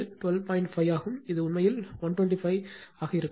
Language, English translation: Tamil, 5 it will be actually 125 right